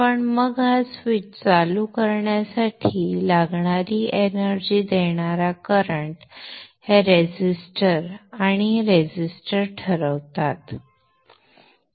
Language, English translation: Marathi, But then the energizing current that is needed for turning on this switch is decided by this resistor and these resistors